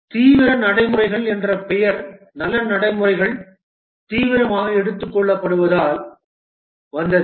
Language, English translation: Tamil, The name extreme programming comes from the fact that the good practices are taken to extreme